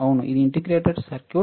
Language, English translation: Telugu, Yes, it is also integrated circuit